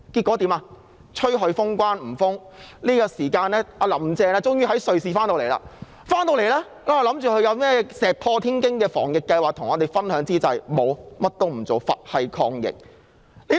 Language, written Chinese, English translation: Cantonese, 我們要求封關被拒，其後"林鄭"終於從瑞士回港，我們以為她會與大家分享一些石破天驚的防疫計劃，結果她甚麼也不做，"佛系"抗疫。, Our demand for full border closure was rejected . Later on Carrie LAM eventually returned to Hong Kong from Switzerland . While we thought she would share with us some bold anti - epidemic plans she did nothing and just took things as they came in the face of the epidemic